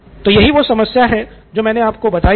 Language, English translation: Hindi, So that’s the problem that I posed to you